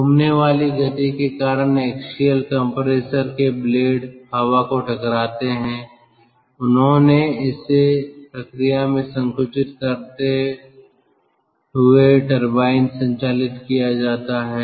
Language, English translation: Hindi, due to the spinning motion, the blades of the axial compressor strike the air they conducted into the turbine while compressing it